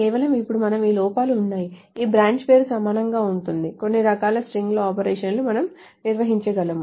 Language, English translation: Telugu, , now that we are inside this, this branch name equal to, there are certain kinds of string operations that we can define